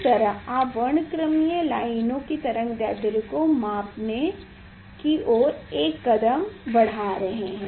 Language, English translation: Hindi, Your step forward you are measuring the wavelength of the spectral lines